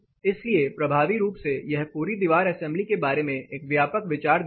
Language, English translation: Hindi, So, effectively this gives a comprehensive idea about the whole wall assembly